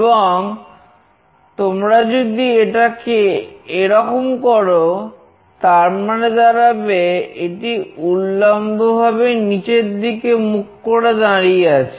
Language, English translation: Bengali, If you make it like this, it should say vertically down